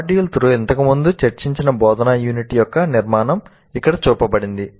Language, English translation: Telugu, The structure of the instruction unit which we discussed earlier in module 2 is shown here